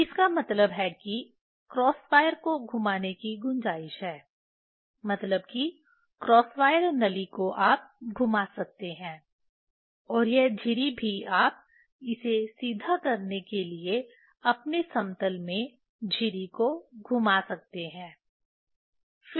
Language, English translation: Hindi, So; that means, there is a scope to turn the cross wire means cross wire tube you can rotate and this slit also you can rotate the slit in its own plane to make it vertical